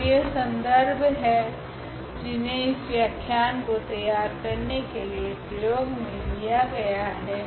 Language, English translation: Hindi, And, these are the references used for this for preparing these lectures